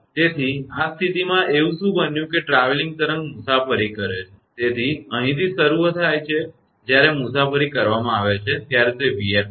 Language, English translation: Gujarati, So, in this case what happened that traveling wave travels, so it is starting from here right when is traveling it is v f